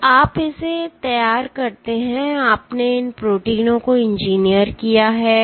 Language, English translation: Hindi, So, you prepare this you know you engineered these proteins